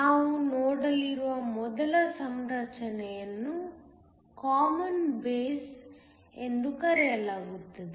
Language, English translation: Kannada, First configuration we are going to look at is called a Common base